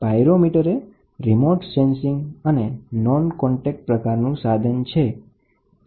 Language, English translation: Gujarati, Pyrometer is remote sensing, it is a non contact type